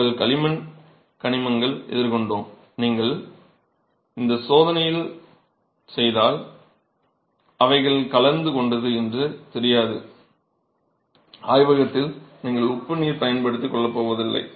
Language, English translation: Tamil, So, if your clay had minerals and you didn't know that they were present, if you do this test and of course in the lab you are not going to be using salt water